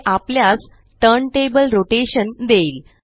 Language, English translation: Marathi, That gives us turntable rotation